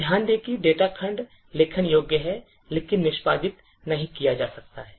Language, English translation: Hindi, So, note that the data segment is writable but cannot be executed